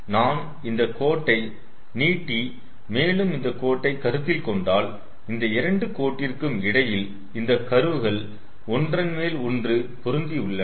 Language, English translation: Tamil, so if i extend this line and if this line, if we consider so, in in within these two lines the curves are overlapping with each other